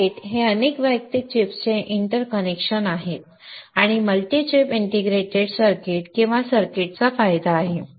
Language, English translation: Marathi, A circuit is the interconnection of a number of individual chip and is an advantage of multi chip integrated chips or circuits